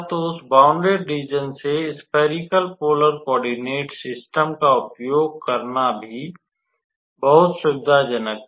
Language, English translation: Hindi, So, from the bounded region, it is also very convenient to use a pull of spherical polar coordinate system